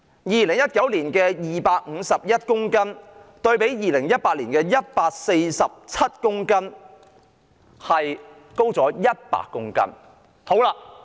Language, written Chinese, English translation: Cantonese, 2019年檢獲冰毒約251公斤，較2018年的約147公斤上升約100公斤。, In 2019 some 251 kg of ice were seized an increase of some 100 kg compared with the 147 kg or so in 2018